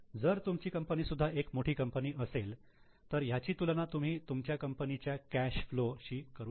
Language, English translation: Marathi, If your own company is also large one, compare it with the cash flow of your own company